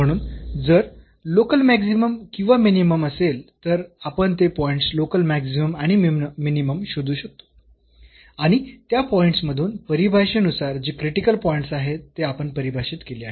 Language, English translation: Marathi, So, if there is a local maximum minimum we will identify those points local maximum and minimum and among these which are the critical points as per the definition we have defined